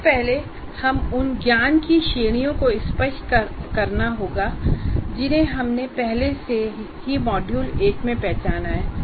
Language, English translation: Hindi, Before that, we need to be clear that there are categories of knowledge that we have already identified in module one